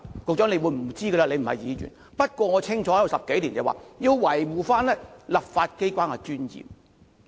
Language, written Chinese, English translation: Cantonese, 局長不知道，因為他不是議員，不過我加入立法會10多年，清楚知道要維護立法機關的尊嚴。, The Secretary does not know because he is not a Member of the Legislative Council but as a Member for 10 - odd years I clearly know that we must uphold the dignity of the Legislative Council